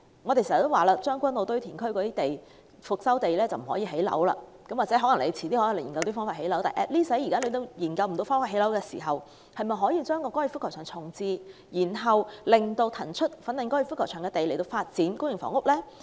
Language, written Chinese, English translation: Cantonese, 我們經常說，將軍澳堆填區的復修地不可以興建房屋，或許政府往後會有方法在那裏興建房屋，但現在政府仍未研究到方法興建房屋時，是否可以重置粉嶺高爾夫球場，以騰出的土地來發展公營房屋呢？, As we have always said the restored landfill in Tseung Kwan O cannot be used for housing construction . Perhaps the Government will come up with a way to do so in the future . For the time being however can the Fanling golf course be relocated in order to release more land for public housing construction?